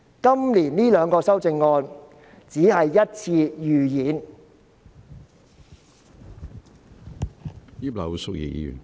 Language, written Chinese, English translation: Cantonese, 今年這兩項修正案只是一次預演。, The two amendments of this year are only a rehearsal